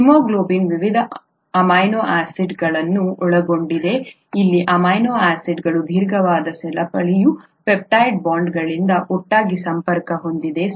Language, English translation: Kannada, The haemoglobin consists of various different amino acids here a long chain of amino acids all connected together by peptide bonds, okay